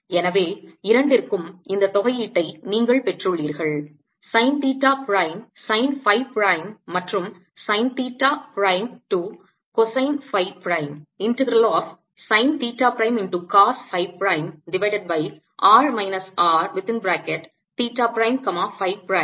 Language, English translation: Tamil, so you have got in these integrals for both sine theta prime, sine phi prime and sine theta prime, cosine phi prime, and therefore my answer for a r is equal to mu naught k over four pi